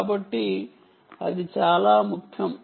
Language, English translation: Telugu, so that is a very important